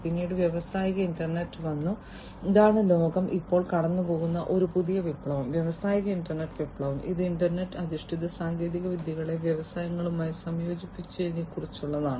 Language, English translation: Malayalam, Then came the industrial internet and this is this new revolution that the world is currently going through, the industrial internet revolution, which is about integration of internet based technologies to the internet to the industries